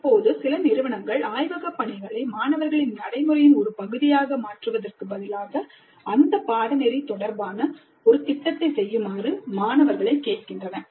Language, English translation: Tamil, Now some institutes, instead of making the laboratory work as a part of the practice by the students are asking the students to do a project related to that course work